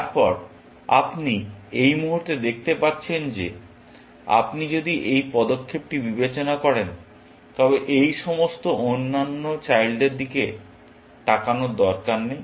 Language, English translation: Bengali, Then, you can see at this moment that if you are considering this move, then there is no need to look at all these other children